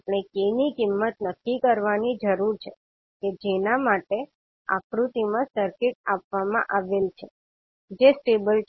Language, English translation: Gujarati, We need to determine the value of k for which the circuit which is given in figure is stable